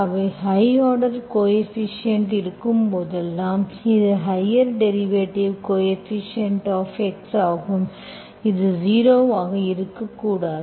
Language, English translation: Tamil, So because, see whenever you have a high order coefficient, so this is higher derivative coefficient is x, this should not be zero, okay